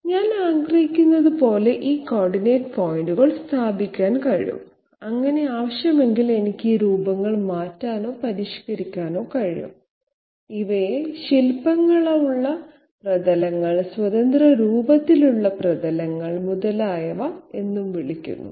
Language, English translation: Malayalam, And I can place these coordinate points as I desire so that I can change or modify these shapes if so require these are also called sculptured surfaces, free form surfaces, et cetera